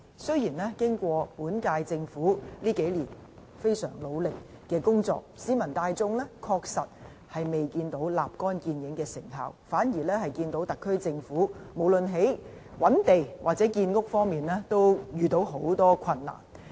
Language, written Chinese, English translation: Cantonese, 雖然本屆政府這幾年非常努力工作，但市民大眾確實未見到立竿見影的成效，反而見到特區政府無論在覓地或建屋方面都困難重重。, Notwithstanding the huge efforts made by the current - term Government over the years members of the general public have indeed failed to see any immediate effect or improvement . On the contrary they clearly see that the SAR Government is having great difficulties in identifying land sites as well as in actual housing construction